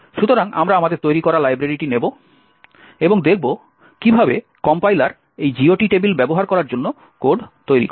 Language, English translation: Bengali, So, we will take our library that we have created and see how the compiler generates code for using this GOT table